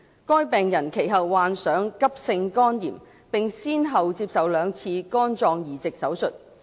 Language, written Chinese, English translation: Cantonese, 該病人其後患上急性肝炎，並先後接受了兩次肝臟移植手術。, Subsequently the patient suffered from acute hepatitis and underwent two liver transplant surgeries